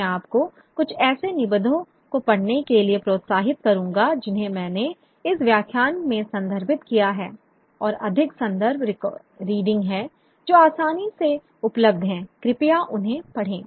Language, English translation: Hindi, I would encourage you to read some of the essays that we have referred to in this lecture and there are more reference readings which are readily available